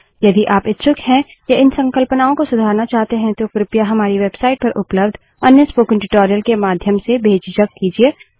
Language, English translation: Hindi, If you are interested, or need to brush these concepts up , please feel free to do so through another spoken tutorial available on our website